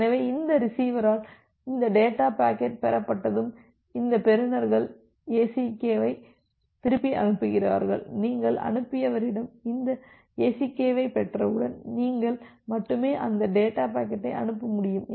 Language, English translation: Tamil, So, once this data packet is received by this receiver, then this receivers send back the ACK and once you are receiving that ACK at the sender, then only you will be able to send the next data packet